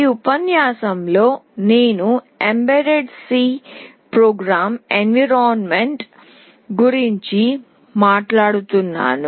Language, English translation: Telugu, In this lecture I will be talking about mbed C Programming Environment